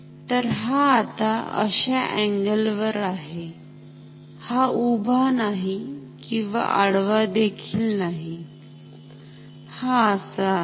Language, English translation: Marathi, So, this is at an angle like, it is neither vertical nor horizontal this is like this ok